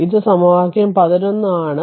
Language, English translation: Malayalam, This is equation 11 right